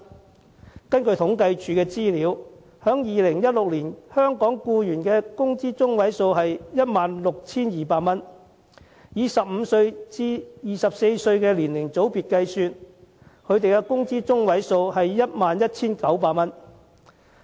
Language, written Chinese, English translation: Cantonese, 根據政府統計處的資料 ，2016 年香港僱員的工資中位數是 16,200 元；以15歲至24歲年齡組別計算，工資中位數是 11,900 元。, According to the Census and Statistics Department the median monthly wage of employees in Hong Kong in 2016 was 16,200 . For the age group between 15 and 24 the median wage was 11,900